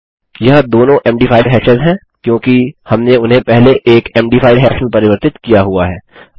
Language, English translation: Hindi, These are both md5 hashes because we converted them into an md5 hash earlier